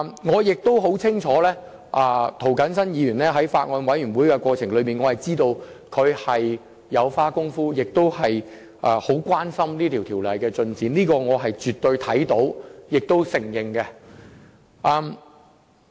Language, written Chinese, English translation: Cantonese, 我亦清楚涂謹申議員在法案委員會的商議過程中有下過工夫，他亦關注《條例草案》的進展，這是我親眼目睹和必須承認的。, From what I have seen with my own eyes I must admit that Mr James TO has made some efforts during the deliberation at the Bills Committee and he has been paying attention to the progress of the Bill as well